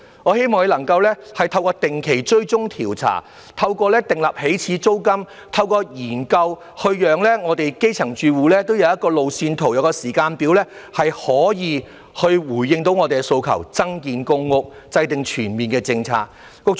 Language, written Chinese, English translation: Cantonese, 我希望當局能夠透過定期追蹤調查、訂立起始租金及研究，讓我們基層住戶都有一個路線圖、一個時間表，從而可以回應我們的訴求，增建公屋和制訂全面的政策。, I hope the authorities can let our grass - roots households have a roadmap which is a schedule through regular tracking surveys setting of an initial rent and study and can thus respond to our demand for building more PRH flats and formulating comprehensive policies